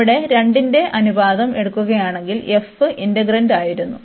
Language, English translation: Malayalam, If we take the ratio of the 2 here, so f was our integrand